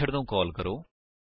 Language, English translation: Punjabi, Let us call the method